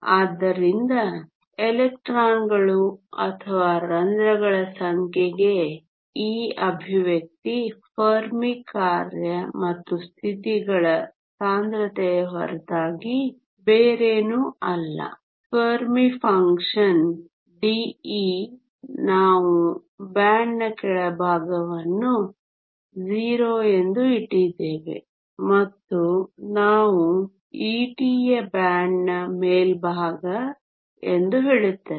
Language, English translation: Kannada, So, this expression for the number of electrons or holes is nothing but the Fermi function and the density of states times the Fermi function d e the bottom of the band we set as 0 and we say e t is the top of the band